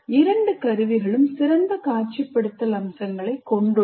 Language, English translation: Tamil, And both the tools have excellent visualization features